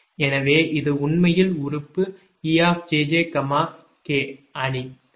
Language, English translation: Tamil, this is actually e, jj, k matrix